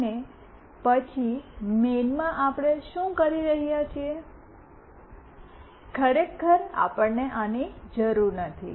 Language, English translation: Gujarati, And then in the main what we are doing, actually we do not require this